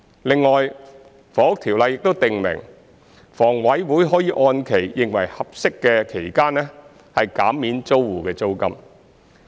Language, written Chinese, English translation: Cantonese, 另外，《房屋條例》亦訂明，房委會可按其認為適合的期間，減免租戶的租金。, In addition the Housing Ordinance provides that HA may remit tenants rent for such a period as it thinks fit